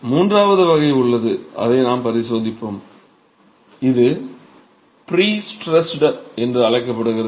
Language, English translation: Tamil, There is also a third category which we will examine which is called pre stressed masonry